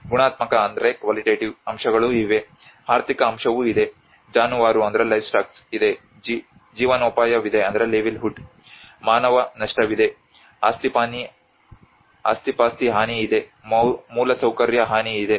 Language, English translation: Kannada, There is also the qualitative aspects, there is also the financial aspect, there is a livestock, there is livelihood, there is human loss, there is a property damage, there is a infrastructural damage